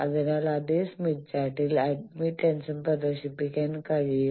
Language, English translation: Malayalam, So, admittance also can be displayed on the same smith chart